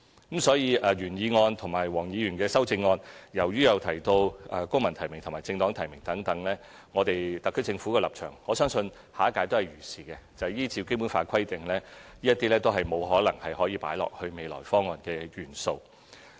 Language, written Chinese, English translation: Cantonese, 因此，由於原議案和黃議員的修正案均有提到"公民提名"或"政黨提名"等，本屆特區政府的立場，就是依照《基本法》規定，這些建議都無法成為未來的政改方案。, As civil nomination or nomination by political parties is mentioned in the original motion and Dr WONGs amendment the position of the current SAR Government is that under the provisions of the Basic Law these suggestions cannot become constitutional reform proposals in the future